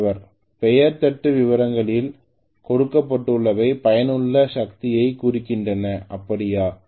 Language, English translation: Tamil, what is given in the name plate details is indicative of useful power, is that so